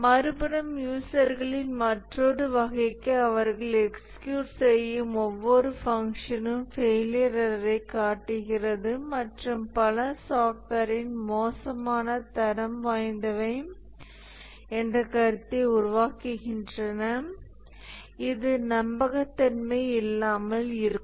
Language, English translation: Tamil, On the other hand, for another category of users, almost every function they execute displays failure, error and so on, and they would form the opinion that the software is of poor quality, it's unreliable